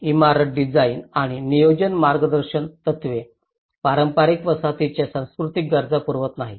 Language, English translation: Marathi, Building design and planning guidelines does not sufficiently address the cultural needs of traditional settlements